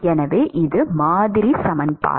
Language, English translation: Tamil, So, that is the model equation